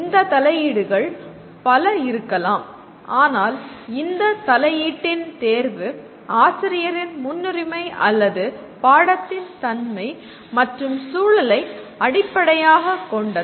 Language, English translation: Tamil, These interventions can be many but the choice of this intervention is based on the preferences of the teacher, or the nature of the subject and the context